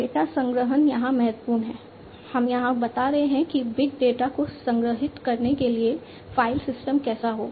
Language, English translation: Hindi, Data storage is important here we are talking about how the file systems would be for storing the data this big data how they are going to be stored